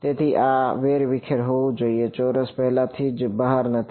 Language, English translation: Gujarati, So, this should be scattered not squared the squared is already outside